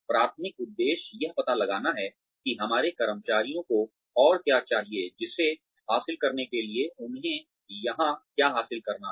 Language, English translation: Hindi, The primary motive is to find out, what more do our employees need, in order to achieve, what they are here to achieve